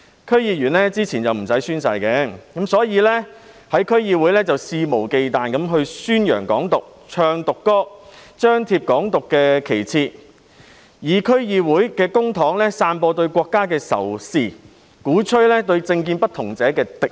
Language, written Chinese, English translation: Cantonese, 區議員之前無須宣誓，所以可在區議會肆無忌憚宣揚"港獨"，唱"獨歌"，張貼"港獨"旗幟，用區議會公帑散播對國家的仇視，鼓吹對政見不同者的敵意。, In the past DC members were not required to take oath and could thus unscrupulously advocate Hong Kong independence in DCs sing Hong Kong independence songs display Hong Kong independence flags use DCs public funds to spread hatred against the country and advocate hostility against people with opposing political views